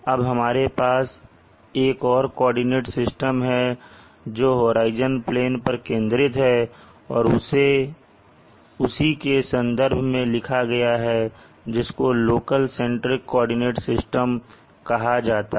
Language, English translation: Hindi, Now you have another coordinate system which is focused in this horizon plane and related to this horizon plane and is called the local centric coordinate system